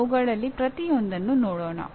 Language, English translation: Kannada, Let us look at each one of them